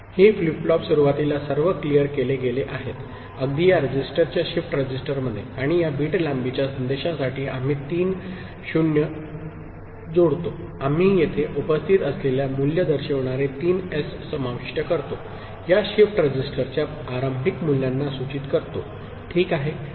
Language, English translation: Marathi, These flip flops are initially all cleared, right in this register shift register, and to this 7 bit long message we append three 0s, we append three 0s signifying the values that are present here, signifying the initial values of these shift registers, ok